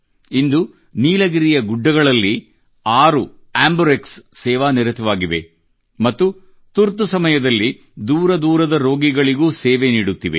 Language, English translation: Kannada, Today six AmbuRx are serving in the Nilgiri hills and are coming to the aid of patients in remote parts during the time of emergency